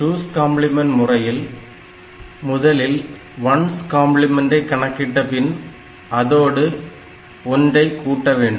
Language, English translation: Tamil, In 2’s complement representation, what is done; after getting 1’s complement representation, we add 1 to it